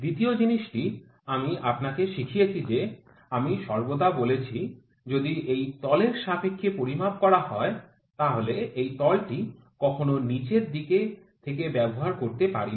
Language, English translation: Bengali, Second thing I have taught you I have always said that, if this is the reference surface, we need we cannot use this surface from the bottom